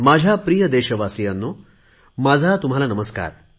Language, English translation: Marathi, My dear countrymen, my greetings namaskar to you all